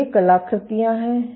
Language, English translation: Hindi, So, these are the artefact